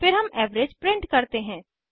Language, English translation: Hindi, Then we print the average